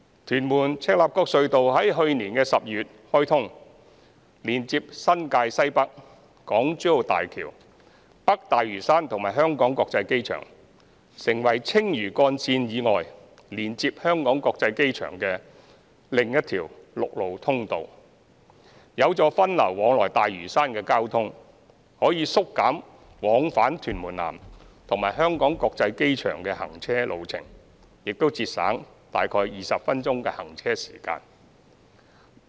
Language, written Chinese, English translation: Cantonese, 屯門—赤鱲角隧道於去年12月開通，連接新界西北、港珠澳大橋、北大嶼山和香港國際機場，成為青嶼幹線以外，連接香港國際機場的另一條陸路通道，有助分流往來大嶼山的交通，可以縮減往返屯門南和香港國際機場的行車路程，並節省約20分鐘行車時間。, The Tuen Mun - Chek Lap Kok Tunnel which was commissioned in December last year connects the Northwest New Territories the Hong Kong - Zhuhai - Macao Bridge North Lantau and the Hong Kong International Airport HKIA and provides an alternative road access connecting the HKIA in addition to the Lantau Link . It helps divert traffic to and from Lantau and the journey time from Tuen Mun South to the HKIA can be reduced by about 20 minutes